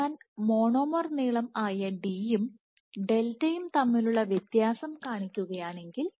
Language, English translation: Malayalam, So, this delta I am making a distinction between d which is the monomer length and delta